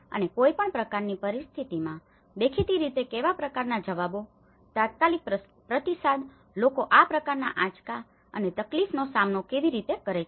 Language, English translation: Gujarati, And in any kind of, situations obviously what kind of responses, the immediate response how people cope up to this kind of shocks and distress